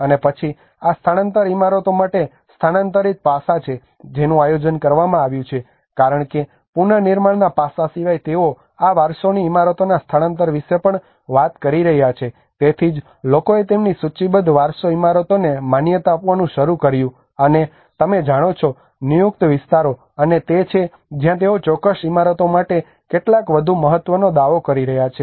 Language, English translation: Gujarati, And then there is a relocation aspect which has been planned out for these heritage buildings because apart from the reconstruction aspect they are also talking about the relocation of these heritage buildings so then that is where people started recognizing their listed heritage buildings, and you know the designated areas, and that is where probably they are claiming some more importance to certain buildings